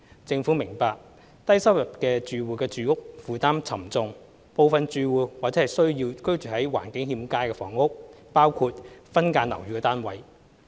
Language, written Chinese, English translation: Cantonese, 政府明白低收入住戶住屋負擔沉重，部分住戶或需租住居住在環境欠佳的房屋，包括分間樓宇單位。, The Government appreciates the heavy housing burden on low - income households and that some households may need to live in rental housing of poor conditions such as subdivided units